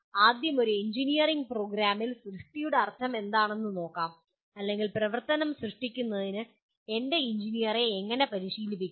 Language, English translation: Malayalam, First thing is creation, let us look at what exactly it means for an engineering program or how do I train my engineer for create activity